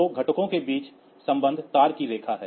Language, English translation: Hindi, So, between them the connection is the copper line